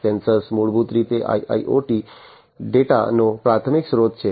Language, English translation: Gujarati, So, sensors are basically the primary source of IIoT data